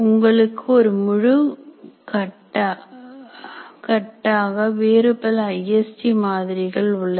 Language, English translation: Tamil, And you have a whole bunch of other ISD models